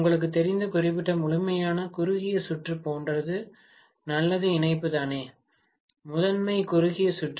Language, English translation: Tamil, It is as good as short circuiting that particular complete you know the connection itself, the primary is short circuited